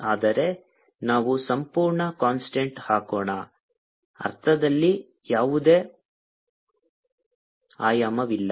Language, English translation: Kannada, but it is put a absolute constant in the sense that has no dimension